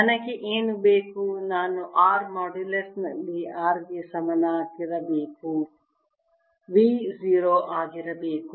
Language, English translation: Kannada, i want, at r modulus equal to r v be zero, right